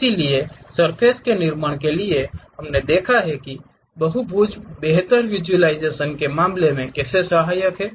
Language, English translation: Hindi, So, for surface constructions we have seen how these polygons are helpful in terms of better visualization